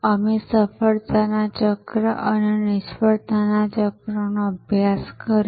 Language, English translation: Gujarati, We studied the cycle of success and the cycle of failure